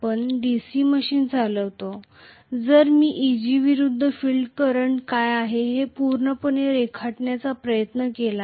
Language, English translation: Marathi, So, rather than now drawing the flux versus field current if I try to completely draw what is Eg versus field current,right